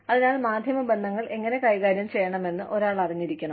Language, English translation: Malayalam, So, one has to know, how to handle, media relations